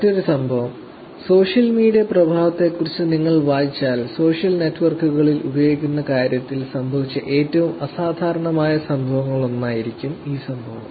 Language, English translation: Malayalam, Another incident that happened in the world which also is something that, if you read about the effect of social media, this incident would actually be one of the most phenomenal event that happened in terms of using social networks